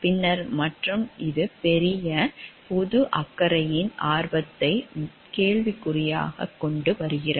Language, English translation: Tamil, And then and which its bringing the interest of the larger public concern into question mark